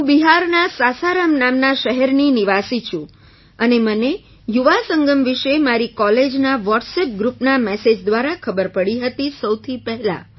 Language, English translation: Gujarati, I am a resident of Sasaram city of Bihar and I came to know about Yuva Sangam first through a message of my college WhatsApp group